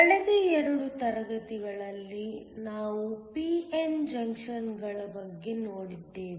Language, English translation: Kannada, Last couple of classes we have looked at p n junctions